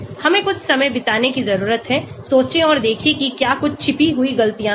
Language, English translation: Hindi, We need to spend some time, think and see whether there are some hidden mistakes